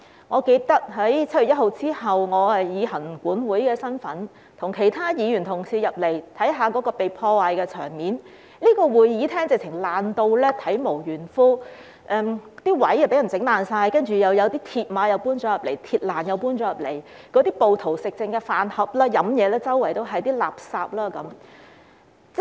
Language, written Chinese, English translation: Cantonese, 我記得7月1日之後，我以行政管理委員會委員的身份，與其他議員同事進入會議廳，看一看被破壞的場面，這個會議廳簡直是被破壞到體無完膚，座位被人毀壞，有鐵馬和鐵欄搬進來，暴徒吃剩的飯盒、飲品和垃圾隨處可見。, I remember that after 1 July as a member of the Legislative Council Commission I went into the Chamber with other Members to take a look at the scene of destruction . This Chamber was simply damaged beyond recognition as seats were vandalized mill barriers and metal railings were brought in and meal boxes with leftovers drinks and rubbish dumped by the rioters were everywhere